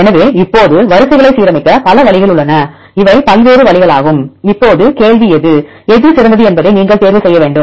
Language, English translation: Tamil, So, now there are multiple ways multiple pathways to align the sequences these are the various ways now the question is which one you need to choose which one is the best one